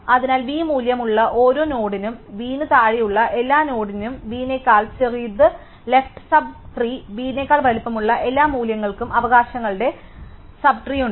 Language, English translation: Malayalam, So, for each node with a value v, all the nodes below v, smaller than v are in the left sub tree and all the values bigger than v are in the rights sub tree